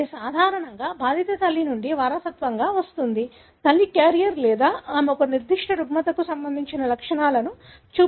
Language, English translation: Telugu, It is usually inherited from an affected mother; mother is carrier or she is showing the symptoms for a particular disorder